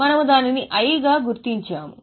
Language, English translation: Telugu, We had marked it as I